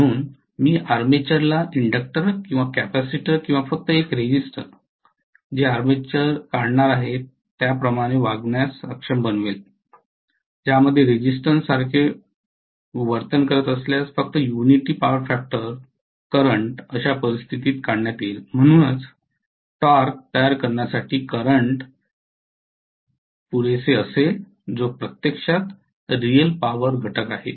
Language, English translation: Marathi, So I will be able to make the armature behave like an inductor or capacitor or just a resistor which is actually going to draw the armature is going to draw in which case only a unity power factor current if it is behaving like a resistance